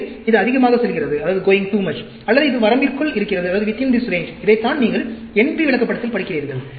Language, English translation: Tamil, So, this is going too much, or it is within this range, that is what you are studying in the NP Chart